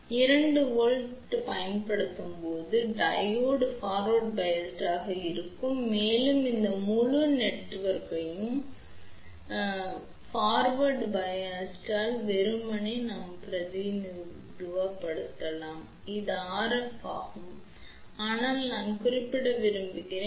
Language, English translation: Tamil, So, when 2 volt is applied over here then the Diode will be forward [biad/biased] biased and this entire network can be simply represented by a forward resistance which is RF , but I also want to mention many a times in the forward bias we also add series inductor over here also ok